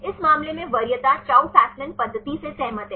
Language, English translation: Hindi, In this case the preference agrees with the Chou Fasman method